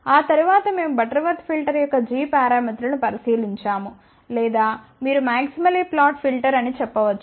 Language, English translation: Telugu, After that we look at g parameters of Butterworth filter or you can say a maximally flat filter